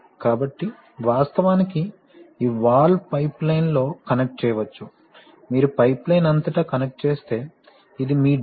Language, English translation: Telugu, So, actually this valve can be connected across a pipeline, if you connected across a pipeline, this is your drain